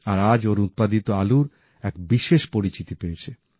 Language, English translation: Bengali, and today his potatoes are his hallmark